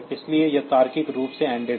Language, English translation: Hindi, So, it is logically ended here